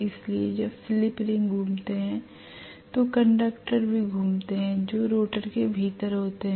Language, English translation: Hindi, So when the slip rings rotate, the conductors also rotate which are within the rotor